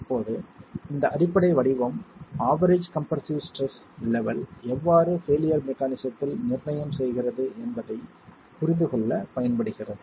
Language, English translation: Tamil, Now this basic form is then going to be used to understand how the level of average compressive stress becomes a determinant in the failure mechanism itself